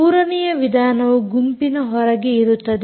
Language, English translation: Kannada, the third way is you do out of band